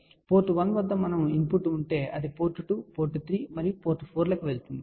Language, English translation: Telugu, So, we have input at port 1 going to port 2, port 3 and port 4 here